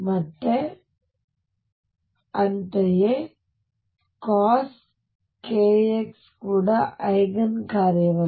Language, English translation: Kannada, And similarly cosine k x is also not an Eigen function